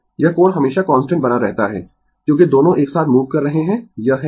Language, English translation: Hindi, This angle phi always remain constant, because both are moving together it is a, right